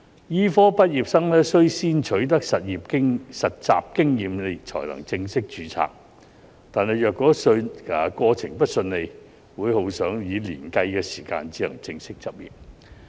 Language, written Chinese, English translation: Cantonese, 醫科畢業生須先取得實習經驗才能正式註冊，但若過程不順利，會耗上以年計的時間才能正式執業。, Medical graduates must first acquire internship experience before obtaining full registration but it may take years for them to be formally qualified for practise if the process is not smooth